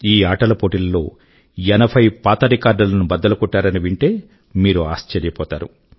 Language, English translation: Telugu, You will be surprised to know that 80 records were broken during this grand sports festival